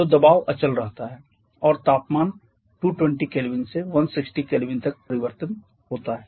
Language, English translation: Hindi, So pressure remains constant temperature changes from 220 kelvin to 160 kelvin